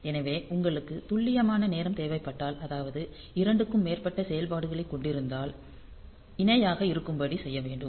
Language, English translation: Tamil, So, if you need precise timing for say more than 2 operations then possibly and they are parallel parallely